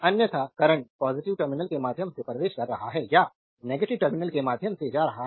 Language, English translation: Hindi, Otherwise current entering through the positive terminal or leaving through the negative terminal